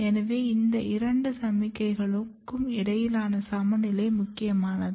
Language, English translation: Tamil, So, basically both the balance between these two signals are might be important